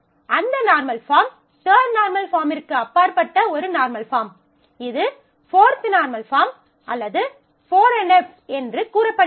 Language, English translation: Tamil, So, such a normal form it is beyond the third normal form is called to be said to be a 4th normal form or 4 NF